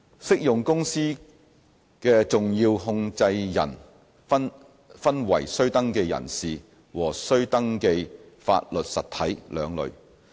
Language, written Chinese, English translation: Cantonese, 適用公司的重要控制人分為須登記人士和須登記法律實體兩類。, The significant controllers of an applicable company are classified into two groups registrable persons and registrable legal entities